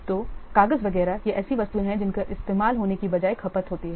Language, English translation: Hindi, These are the items those are consumed rather than being used